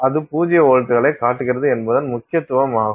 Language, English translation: Tamil, So, that is the significance of the fact that it is showing you zero volts